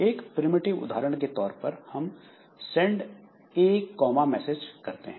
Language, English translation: Hindi, So, for example, primitives we have got send A comma message